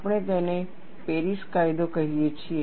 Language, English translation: Gujarati, We call that as the Paris law